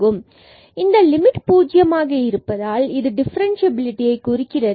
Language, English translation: Tamil, That means, if this limit is 0 then the function is differentiable